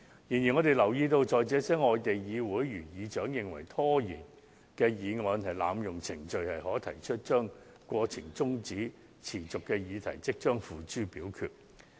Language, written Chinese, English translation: Cantonese, 然而，我們留意到在這些外地議會，當議事長認為拖延議案是濫用程序，便可即時把中止待續的待決議題付諸表決。, However we also notice one thing that is when the presiding officers of the parliaments in these foreign countries are of the opinion that the moving of the adjournment of proceedings is an abuse of procedure they may immediately put the question forthwith